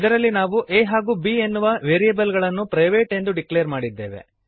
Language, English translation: Kannada, In this we have declared variables a and b as private